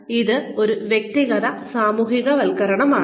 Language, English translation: Malayalam, So, that is an individual socialization